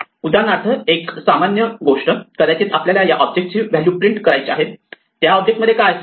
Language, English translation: Marathi, For instance, one of the common things that we might want to do is to print out the value of an object, what does an object contain